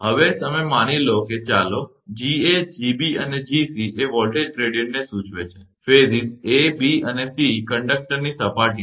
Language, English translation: Gujarati, Now you assume that let, Ga Gb and Gc denote the voltage gradients, at the surface of the conductors in phases a, b and c